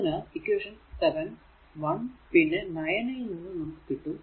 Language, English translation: Malayalam, So, from equation 7, 1 and 9 we get so, what you do